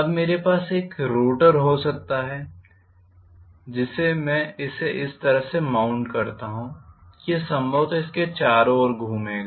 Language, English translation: Hindi, Now I may have a rotor probably which I mount it here in such a way that it will rotate probably around this